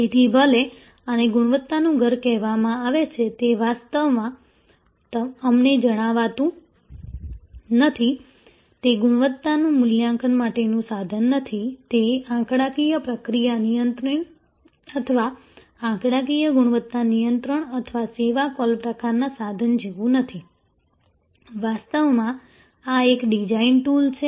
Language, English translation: Gujarati, So, even though, this is called house of quality, it actually is does not tell us, it is not a tool for quality assessment, it is not like statistical process control or statistical quality control or the serve call kind of tool, this is actually a design tool